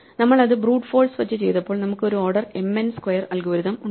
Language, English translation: Malayalam, So, when we did it by brute force we had an order m n square algorithm